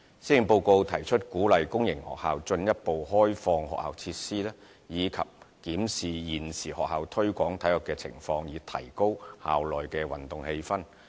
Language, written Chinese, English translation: Cantonese, 施政報告提出鼓勵公營學校進一步開放學校設施，以及檢視現時學校推廣體育的情況，以提高校內運動氣氛。, The Policy Address states that public sector schools are encouraged to further open up their facilities and a review will be conducted on the promotion of sports at schools for enhancing sporting culture in campus